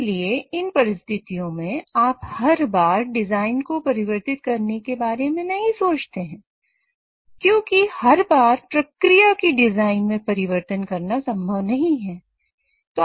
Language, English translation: Hindi, So in such cases you don't go about changing the design every time because it is not always feasible to change the design of a process every now and then